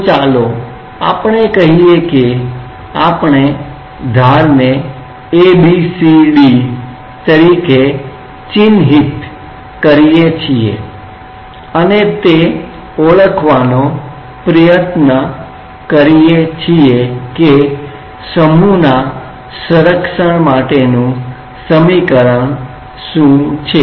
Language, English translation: Gujarati, So, let us say that we mark the edges as A B C D and try to identify that what are the expression for the conservation of mass